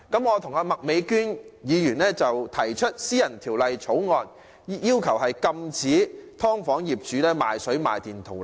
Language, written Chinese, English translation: Cantonese, 我和麥美娟議員提出私人法案，要求禁止"劏房"業主賣水賣電圖利。, Ms Alice MAK and myself intend to propose a Members bill to prohibit owners of subdivided units from selling water and electricity with the purpose of profit - making